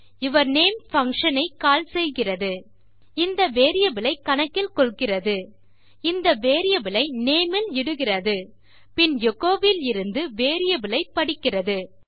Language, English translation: Tamil, yourname calls the function, takes this variable into account, puts this variable into name and then reads the variable from echo